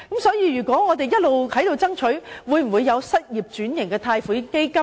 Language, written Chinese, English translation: Cantonese, 所以，我們一直爭取設立失業轉型貸款基金。, For this reason we have been urging for the setting up of a loan fund for occupation switching for unemployed persons